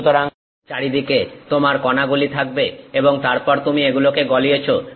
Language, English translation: Bengali, So, you have around particle and then you have melted it